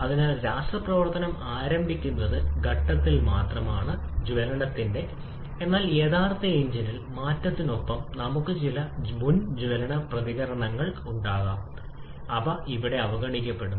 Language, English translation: Malayalam, So chemical reaction will start only at the point of combustion but in true engine, we may have some pre combustion reactions with change in temperature, those are neglected here